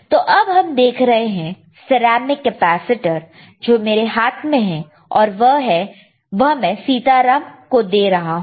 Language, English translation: Hindi, But, right now let us see if the ceramic capacitor is there, which is in my hand and I am giving to again to Sitaram